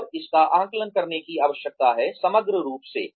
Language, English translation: Hindi, And, it needs to be assessed, as a whole